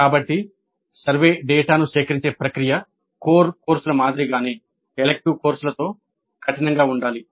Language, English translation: Telugu, So the process of collecting survey data must remain as rigorous with elective courses as with core courses